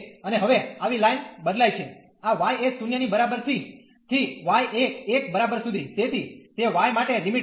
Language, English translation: Gujarati, And now such lines will vary from this y is equal to 0 to y is equal to 1, so that will be the limit for y